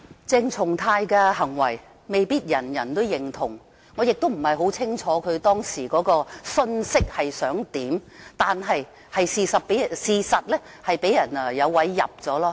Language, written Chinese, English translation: Cantonese, 鄭松泰議員的行為未必人人認同，我亦不很清楚他當時想表達甚麼信息，但事實上是讓人有機可乘。, Dr CHENG Chung - tais behaviour may not be agreeable to all and I am not too clear about what message he wished to strike home at the time but the fact is that he has given somebody a handle